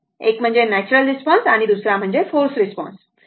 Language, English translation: Marathi, One is natural response and other is the forced response right